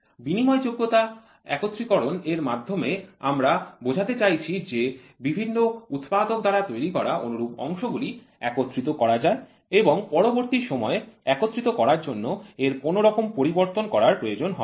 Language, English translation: Bengali, By interchangeable assembly we means that identical components manufactured by different operators can be assembled and replaced without any further modification during the assembly stage